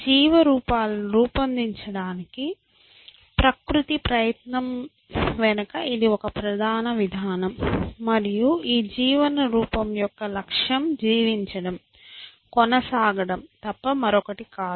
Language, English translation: Telugu, And this a basic mechanism behind nature’s effort to design life forms, and the goal of this life form is nothing but to live, to persists essentially, and that is our